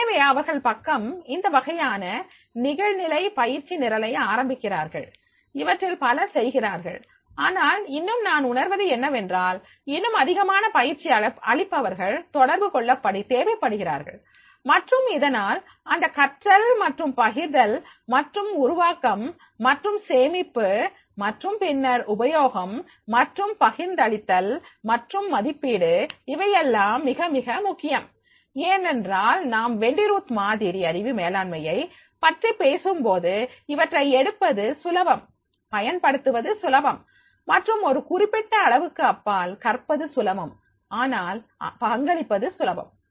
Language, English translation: Tamil, So therefore if they are side they start these types of the online training programs, many of them are doing but still I feel that there are the more trainers are required to connect and therefore that learning and sharing and the creation and storage and then the use and distribution and assessment this that will be very very important because when we talk about the Wendy Roots model of the knowledge management and therefore it is the to get because this is the easy to get right easy to use and up to certain extent easy to learn but and easy to get, right, easy to use and up to certain extent is easy to learn but and easy to contribute but to build and sustain and assess and divest next three steps, right